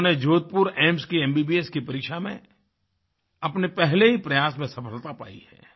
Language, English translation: Hindi, In his maiden attempt, he cracked the Entrance exam for MBBS at AIIMS, Jodhpur